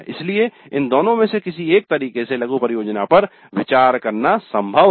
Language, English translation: Hindi, So it is possible to consider the mini project in either of these two ways